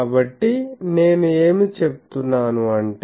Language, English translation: Telugu, So, what I am saying